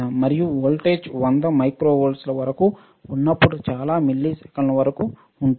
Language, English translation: Telugu, And the voltage is as high as 100 microvolts lasts for several milliseconds